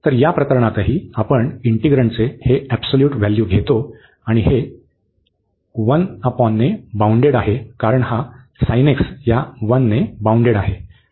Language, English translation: Marathi, So, in this case even we take this absolute value of the integrand, and this is bounded by 1 over because this sin x is bounded by 1